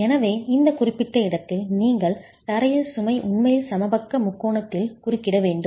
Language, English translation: Tamil, So, in this particular case you have the floor load actually interfering with the equilateral triangle